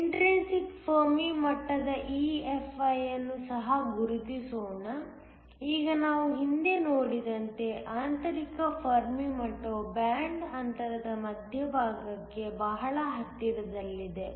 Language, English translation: Kannada, Let me also mark the intrinsic Fermi level EFi, now the intrinsic fermi level as we have seen earlier is very close to the center of the band gap